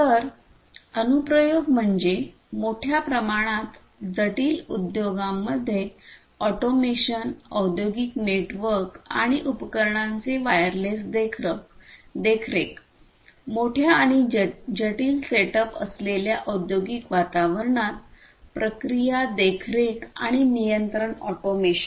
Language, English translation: Marathi, So, applications are automation in large scale complex industries, wireless monitoring of industrial networks and devices, process monitoring and control automation in the industrial environments with large and complex setups, and so on